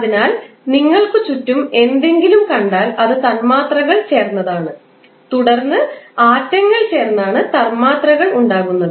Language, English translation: Malayalam, So, if you see anything around you, you will see it is composed of molecules and then molecules are composed of atoms